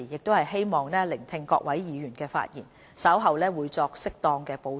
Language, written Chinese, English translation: Cantonese, 我希望聆聽各位議員的發言，稍後會作適當的補充或回應。, I would like to add some points or make a response as appropriate after listening to Members speeches